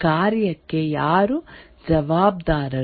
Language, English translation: Kannada, Who is responsible for a function